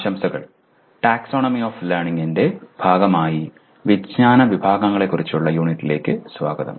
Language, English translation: Malayalam, Greetings and welcome to the unit on Knowledge Categories as a part of Taxonomy of Learning